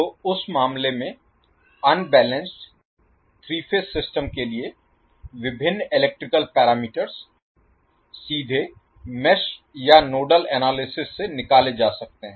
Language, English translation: Hindi, So in that case for the unbalanced three phase system, the various electrical parameters can be calculated by direct application of either mess of nodal analysis